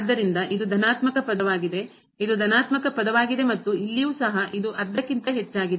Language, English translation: Kannada, So, this is a positive term, this is a positive term and here also we have this is greater than half